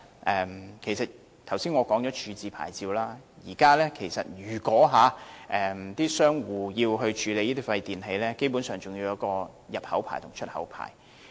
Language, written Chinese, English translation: Cantonese, 我剛才已談過廢物處置牌照，而現時商戶要處理那些廢電器，基本上還要持有入口牌照和出口牌照。, I have talked about the waste disposal licence just now . Now if recyclers have to handle e - waste they basically have to obtain an import licence and an export licence